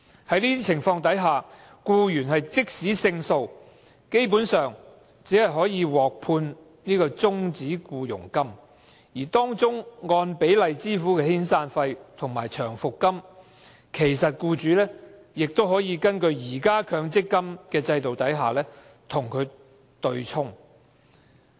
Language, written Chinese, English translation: Cantonese, 在這種情況下，僱員即使勝訴，基本上只可獲判終止僱傭金，而僱員應獲得的按比例支付的遣散費和長期服務金，僱主亦可根據現行的強制性公積金制度對沖安排，與之對沖。, Under such circumstances even if an employee wins the lawsuit he can basically receive a terminal payment but the pro - rata severance payment and long service payment that he is entitled to can be offset by the employers contribution to the Mandatory Provident Fund under the present arrangement